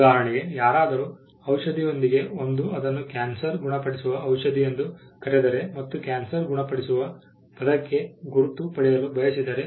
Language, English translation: Kannada, For instance, somebody comes up with a medicine and calls it cancer cure and wants to get a mark for the word cancer cure